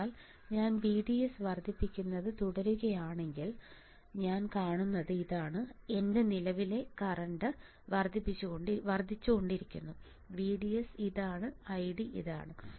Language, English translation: Malayalam, So, if I keep on increasing VDS what I will see is that, my current keeps on increasing this is VDS this is I D